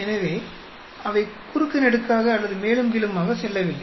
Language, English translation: Tamil, So, they are not crisscrossing or going up and down